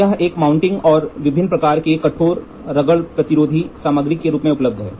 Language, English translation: Hindi, It is available as a mounting and in a variety of hard, wear resistant materials